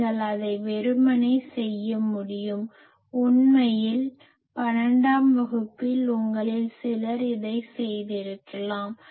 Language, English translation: Tamil, You can simply do it; actually in class 12 some of you may have done it